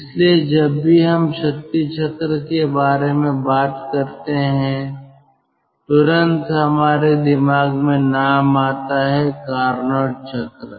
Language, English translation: Hindi, so whenever we talk about power cycle, immediately ah, the name comes to our mind is the carnot cycle